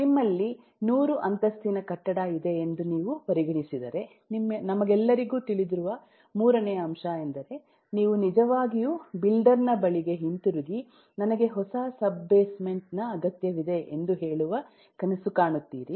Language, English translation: Kannada, the third point which all of us know is: eh, if you consider you have a 100 storied building, you would really even dream of going back to the builder and say that I need a new sub basement